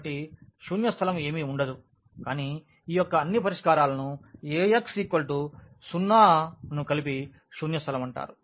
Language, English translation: Telugu, So, null space will be nothing, but the solutions all solutions of this Ax is equal to 0 together will be called as null space